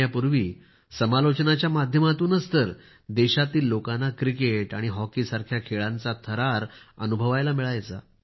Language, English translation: Marathi, Long before the advent of TV, sports commentary was the medium through which people of the country felt the thrill of sports like cricket and hockey